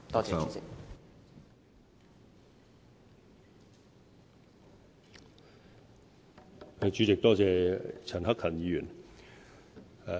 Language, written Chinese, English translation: Cantonese, 主席，多謝陳克勤議員。, President I thank Mr CHAN Hak - kan for the question